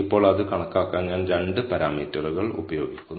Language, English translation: Malayalam, Now, I am using two parameters to compute it